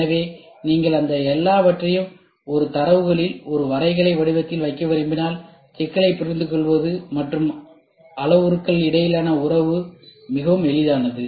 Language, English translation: Tamil, So, if you want to put all those things in a data in a graphical form, then the understanding of the problem and the relationship between the parameters becomes very easy